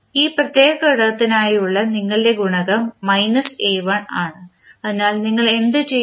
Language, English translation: Malayalam, You coefficient for this particular component is minus a1, so, what you will do